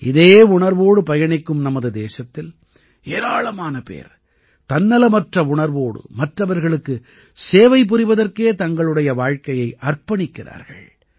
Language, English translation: Tamil, Following this sentiment, countless people in our country dedicate their lives to serving others selflessly